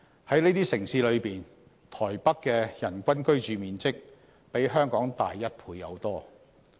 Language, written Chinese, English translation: Cantonese, 在這些城市中，台北的人均居住面積比香港大一倍有多。, Among those cities the average living space per person in Taipei doubles that in Hong Kong